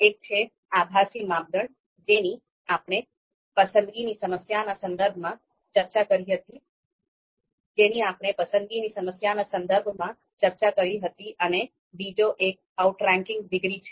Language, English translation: Gujarati, One is pseudo criteria something that we talked about in in the context of choice problem and the second one is outranking degrees